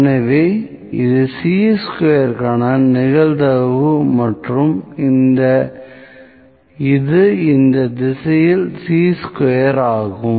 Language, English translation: Tamil, So, this is probability for Chi square and this is Chi square